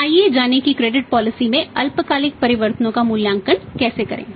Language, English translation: Hindi, So, let us learn that how to evaluate the short term changes in the credit policy